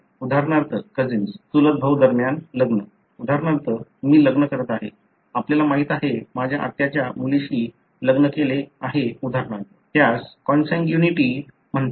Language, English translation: Marathi, For example marriage between cousin; for example I am marrying, you know married to my aunt’s daughter for example; know that represents what is called consanguinity